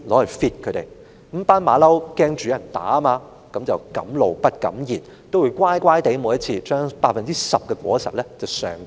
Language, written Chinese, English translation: Cantonese, 由於這群猴子怕被人打，一向敢怒而不敢言，每次也會乖乖地把十分之一的果實上繳。, As the monkeys were afraid of the assault they dared not voice out their discontent and instead always submitted one tenth of their fruits cooperatively